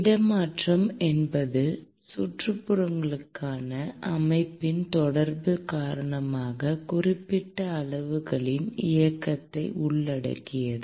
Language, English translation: Tamil, Transfer involves movement of certain quantities, due to interaction of the system with surroundings